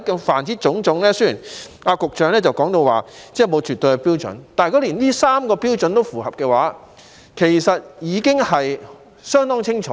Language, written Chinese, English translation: Cantonese, 凡此種種，雖然局長說沒有絕對的標準，但如果符合這3個標準，我認為其實已經相當清楚。, Judging from all these although the Secretary claimed that there was no absolute criterion I think the picture is rather clear if the three standards mentioned above are met